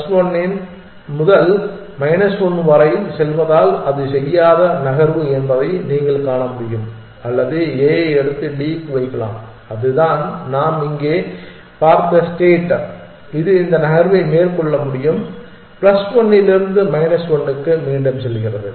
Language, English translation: Tamil, That you can see is the move it will not make because it is going from plus 1 to minus 1 or it can pick up A and put it on to D and that is the state that we have seen here it can make this move and that is going from plus 1 to minus 1 again